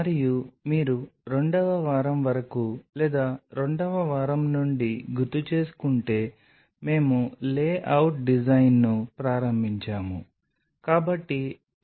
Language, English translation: Telugu, And if you recollect up to a second week or during the second week we have started the layout design